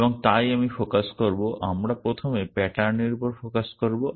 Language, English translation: Bengali, And so I will focus we will first focus on the pattern